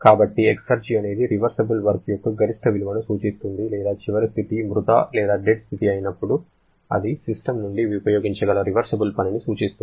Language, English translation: Telugu, So, exergy refers to the maximum value of reversible work that or I should say the reversible work we can harness from the system when the final state is the dead state